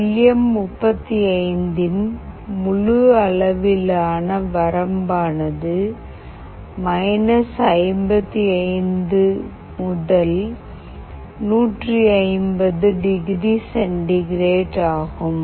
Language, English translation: Tamil, The full scale range of LM35 is 55 to +150 degree centigrade